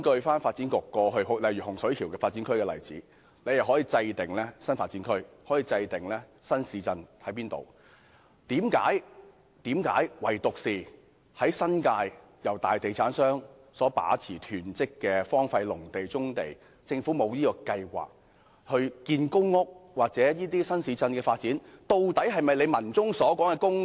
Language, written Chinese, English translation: Cantonese, 發展局過去針對洪水橋發展區，可以制訂新發展區、新市鎮的位置，但為何唯獨在新界，大地產商大量囤積荒廢農地、棕地，政府沒有計劃興建公屋或發展新市鎮？, In the case of the Hung Shui Kiu NDA the Development Bureau could determine the location of the NDA or the new town but why is it that in the New Territories the Government allows hoarding of large quantities of deserted agricultural land and brownfield sites by large real estate developers and has no plan to build public housing or develop new towns?